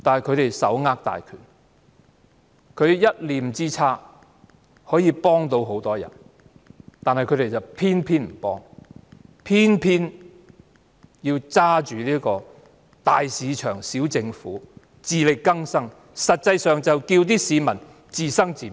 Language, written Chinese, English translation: Cantonese, 他們手握大權，一念之差可以幫助很多人，但他們偏偏不幫，偏偏緊守"大市場、小政府"及自力更生原則，實際上要市民自生自滅。, While they have power in hand to help many they refuse to give a helping hand . Instead they insist on sticking to the principles of big market small government and self - reliance which in effect are telling people to fend for themselves